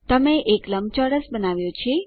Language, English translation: Gujarati, You have drawn a rectangle